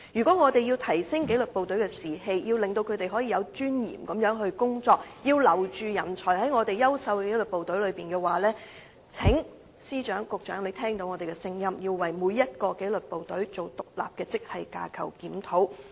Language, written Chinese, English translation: Cantonese, 若要提升紀律部隊士氣，令部隊人員可以有尊嚴地執行工作，要留住優秀紀律部隊之中的人才，請司長、局長聽取我們的意見，為每一紀律部隊進行獨立的職系架構檢討。, In order to boost the morale of the disciplined services enable disciplined services staff to execute their duties with dignity and retain talents in our excellent disciplined forces the Secretaries of Departments and Bureau Directors should listen to our advice and conduct an independent grade structure review for each disciplined service